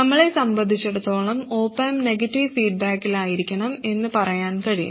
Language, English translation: Malayalam, As far as we are concerned, we can say that the op am must be in negative feedback, that is all